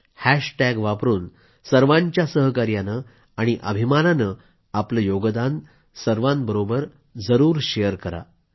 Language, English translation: Marathi, Using the hashtag, proudly share your contribution with one & all